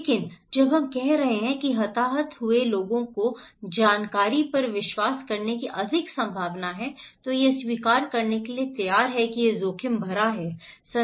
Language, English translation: Hindi, But when we are saying that, that much of casualty happened people are more likely to believe the information, ready to accept that this is risky